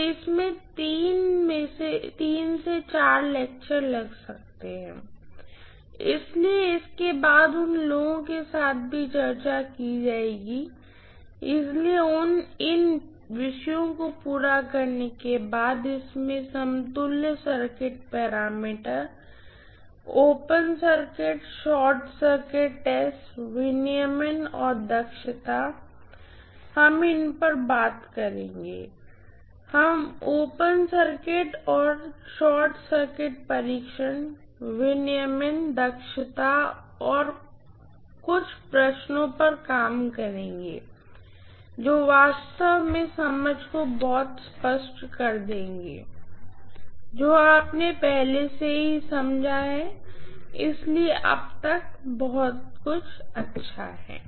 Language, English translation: Hindi, So these four topics will take up after finishing up, you know this having finished equivalent circuit parameters, open circuit, short circuit test, regulation and efficiency, we would be taking up these things, we would work out some more problems on OC, SC test, regulation and efficiency, which would make actually the understanding much clearer than what you have understood already, okay